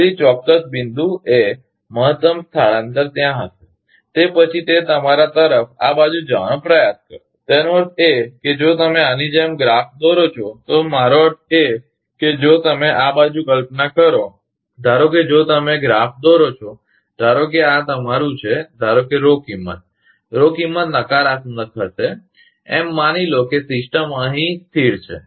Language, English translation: Gujarati, So at certain point, maximum shift will be there, after that again it will try to move to the, your this side; that means, if you plot like this, I mean, if you plot suppose this side; suppose, if you plot, suppose this is your, suppose Rho value, Rho will negative, assuming the system is a stable here